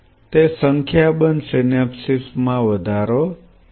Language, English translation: Gujarati, That it will increase a number of synapses